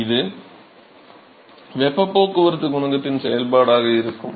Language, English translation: Tamil, So, that will be a function of the heat transport coefficient